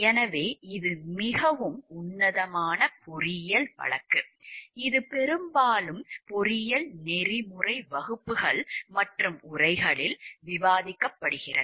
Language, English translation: Tamil, So, it is a very classic engineering case which is often classic case discussed in engineering ethics classes and texts